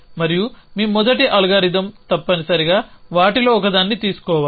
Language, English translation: Telugu, And your first algorithm will have to take one of them essentially